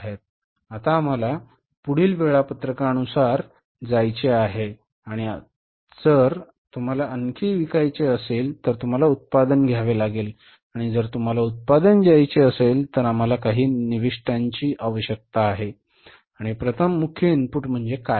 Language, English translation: Marathi, Now we have to go with the next schedule and that schedule is the now because if you want to sell you have to produce and if you have to produce certainly we need some inputs and first major input is what